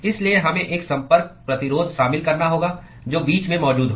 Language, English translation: Hindi, So, we need to include a Contact Resistance which is present in between